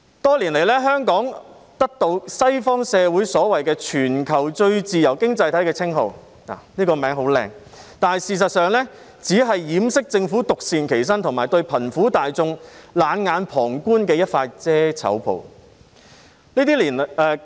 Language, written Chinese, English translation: Cantonese, 多年來，香港得到西方社會所謂"全球最自由經濟體"的稱號，這個名稱很美麗，但事實上，只是掩飾政府獨善其身及對貧苦大眾冷眼旁觀的一塊遮醜布。, For many years Hong Kong has been given by the western community the so - called title of the worlds freest economy a very grand title . But in fact it is only a piece of loincloth that covers up the shortcomings of the Government which only cares about itself and is oblivious to the plight of the poor